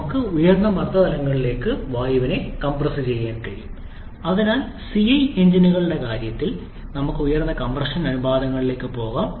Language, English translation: Malayalam, We can compress air to very high pressure levels and therefore we can go to much higher compression ratios in case of CI engines